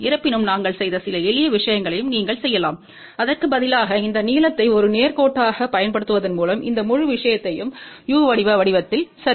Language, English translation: Tamil, However, you can do a few simple things also which we have also done, and that is instead of using this length as a straight line, you also use this whole thing in the form of a u shape ok